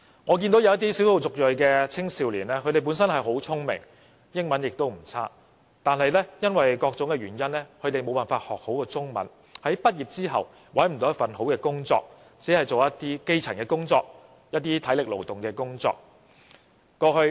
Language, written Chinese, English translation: Cantonese, 我曾見過一些少數族裔青少年，他們本身很聰明，英文也不差，但因為各種原因沒有學好中文，所以在畢業後無法找到一份好工作，只能從事一些基層或體力勞動的工作。, I have also seen some EM youngsters who are smart and have good English . But for various reasons they do not learn Chinese well . After they graduated they cannot find a good job and can only take up elementary jobs or labour - intensive jobs